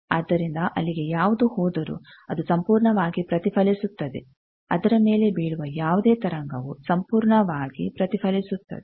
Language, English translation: Kannada, So, that anything going there is fully reflected any wave falling on it fully reflected